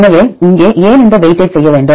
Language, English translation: Tamil, So, here why we need to do this weightage